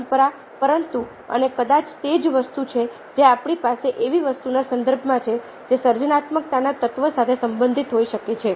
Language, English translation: Gujarati, but ah and probably that's the only think ah that we have in the context of something which can be related to the element of creativity